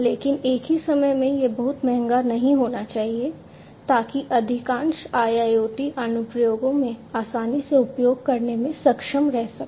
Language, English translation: Hindi, But at the same time it should not be too expensive to be not being able to use easily in most of the IIoT applications